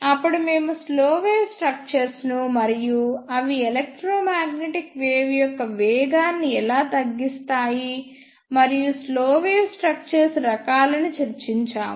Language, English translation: Telugu, Then ah we discussed the slow wave structures, and how they slow down the electromagnetic wave and type of slow wave structures